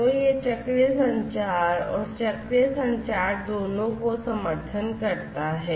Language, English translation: Hindi, So, it supports both cyclic communication and acyclic communication